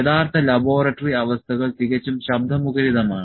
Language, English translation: Malayalam, So, the laboratory actual laboratory conditions are quite noisy